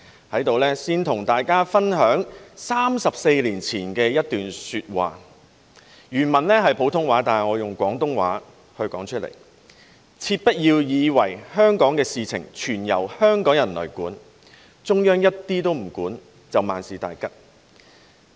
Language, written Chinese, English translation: Cantonese, 在這裏先跟大家分享34年前的一段說話，原文是普通話，但我以廣東話說出來："切不要以為香港的事情全由香港人來管，中央一點都不管，就萬事大吉了。, Before all else here I would like to share with Members a quote from 34 years ago originally in Putonghua but I will say it in Cantonese Dont ever think that everything would be all right if Hong Kongs affairs were administered solely by Hong Kong people while there is nothing that the Central Government needs to do